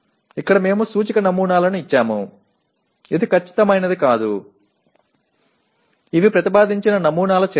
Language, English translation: Telugu, Here we just given indicative samples rather than this is not the exact just these are samples actions proposed